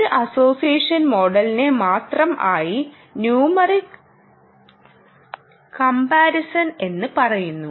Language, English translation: Malayalam, only one association model is called numeric comparison